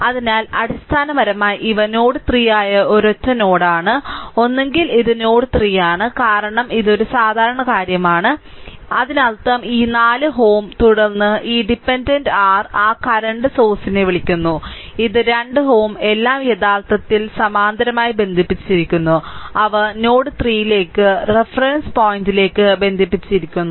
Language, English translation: Malayalam, So, basically these are at this is a single node that is node 3 right either this point either this point or this point or this point this is node 3 because it is a common thing; that means, this 4 ohm then this dependent ah what you call that current source and this is 2 ohm all are in actually connected parallel and right they are connected to node 3 to the reference point right